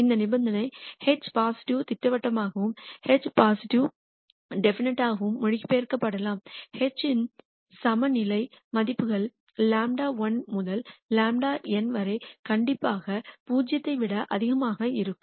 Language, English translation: Tamil, That condition can be translated to H being positive definite and H being positive de nite can be translated to the condition that lambda 1 to lambda n the n eigenvalues of H are strictly greater than 0